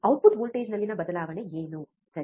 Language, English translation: Kannada, What is the change in the output voltage, right